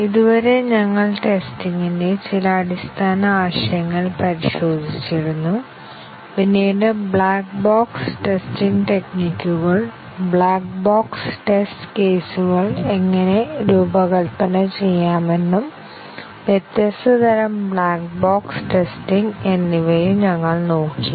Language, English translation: Malayalam, So far, we had looked at some very basic concepts of testing and then, later we looked at black box testing techniques, how to design black box test cases and different types of black box testing